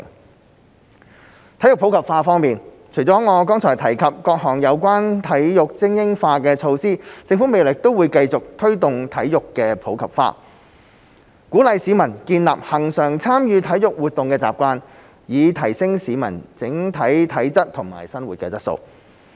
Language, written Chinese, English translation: Cantonese, 在體育普及化方面，除了我剛才提及各項有關體育精英化的措施，政府未來亦會繼續推動體育普及化，鼓勵市民建立恆常參與體育活動的習慣，以提升市民整體體質及生活質素。, In respect of promoting sports in the community in addition to the various measures related to elite sports development as I mentioned earlier the Government will continue to promote sports in the community in the future and encourage people to participate in sports activities regularly to enhance their overall physical fitness and quality of living